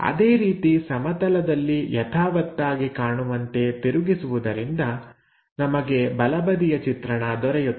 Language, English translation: Kannada, Similarly, by rotating that in that direction normal to the plane, we will get right side view